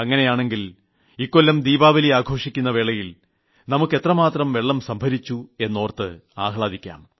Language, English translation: Malayalam, And when we celebrate Diwali this time, then we should also revel in how much water did we save; how much water we stopped from flowing out